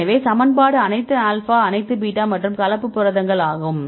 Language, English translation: Tamil, So, this is a equation is all alpha all beta and mixed class proteins